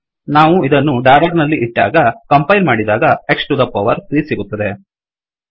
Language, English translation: Kannada, We enclose it with a dollar, compile it to get X to the power 3